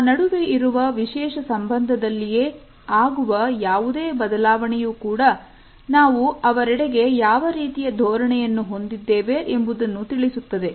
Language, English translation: Kannada, Any change in our special relationship with other people also communicates the type of attitude we have towards them